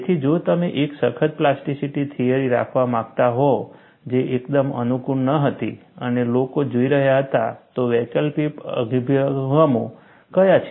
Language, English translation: Gujarati, So, if you want to have a rigorous plasticity theory, which was not quite convenient, and people were looking at, what are the alternate approaches